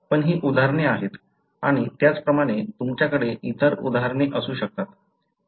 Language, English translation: Marathi, But these are examples and likewise you can have other examples